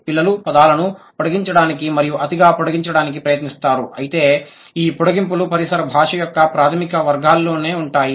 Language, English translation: Telugu, The children, they try to extend and possibly over extend words, but these extensions will stay within the basic categories of the ambient language